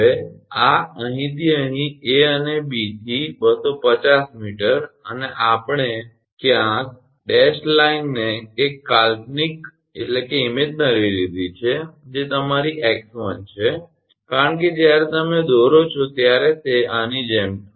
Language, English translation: Gujarati, Now, this from here to here A to B 250 meter and we have taken somewhere dashed line imaginary one that is your x 1, because it will when you draw it will come like this